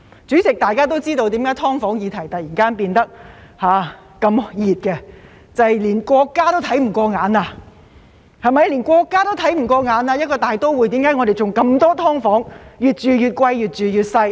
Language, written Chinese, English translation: Cantonese, 主席，大家都知道為甚麼"劏房"議題突然變成熱話，這是因為連國家也看不過眼了，為甚麼一個大都會會有很多"劏房"，越住越貴、越住越細。, President we all know why the issue of SDUs has suddenly become a hot topic because even the State cannot stand it anymore wondering why in this cosmopolitan city there exist so many SDUs of ever - increasing rent but ever - shrinking size